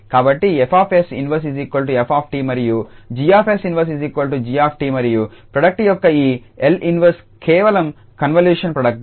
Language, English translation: Telugu, So, F s inverse is f t G s inverse is g t and the this L inverse of the product is simply the convolution product